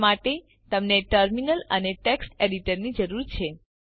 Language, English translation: Gujarati, For that you need a Terminal and you need a Text Editor